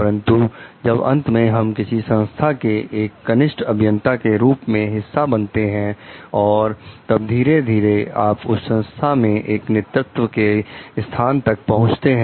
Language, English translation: Hindi, But, when at the end like we become a part of the organization as junior engineers and then maybe slowly move up the organizational leader